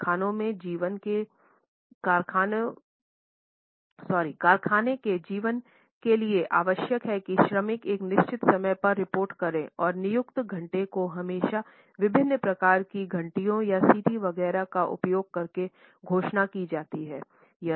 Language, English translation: Hindi, The factory life required that the labor has to report at a given time and the appointed hour was always announced using different types of bells or whistles etcetera